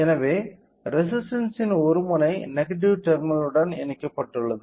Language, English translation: Tamil, So, since one and of the resistor is connected to the negative terminal